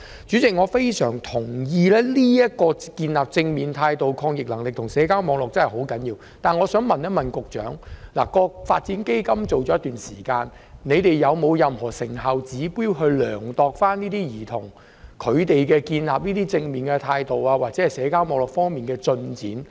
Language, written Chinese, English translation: Cantonese, "主席，我非常贊同建立正面態度、抗逆能力及社交網絡的確十分重要，但我想問局長，基金已推行一段時間，你們有否任何成效指標來衡量兒童在建立正面態度或社交網絡方面的進展？, President I strongly agree that it is indeed very crucial to build up a positive attitude resilience and social networks . Having said that I would like to ask the Secretary as CDF has already been implemented for some time whether there are any performance indicators for measuring the progress of the children in building up a positive attitude or social networks?